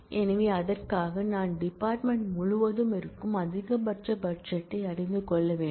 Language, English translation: Tamil, So, for that I need to know the maximum budget that exists across the department